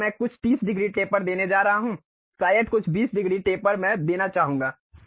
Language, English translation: Hindi, So, I am going to give some 30 degrees taper, maybe some 20 degrees taper I would like to give